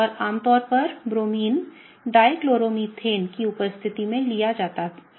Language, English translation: Hindi, So, typically Bromine is taken in presence of, something called as a Dichloromethane